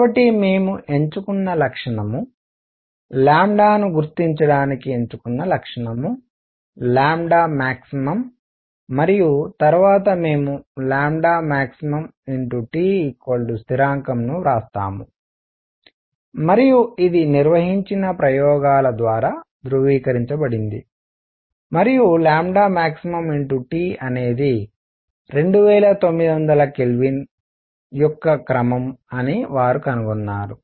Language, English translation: Telugu, So, the feature we choose; feature chosen to identify lambda is lambda max and then we write lambda max times T is equal to constant and this was confirmed by experiments carried out and they found that lambda max times T is of the order of 2900 micrometer k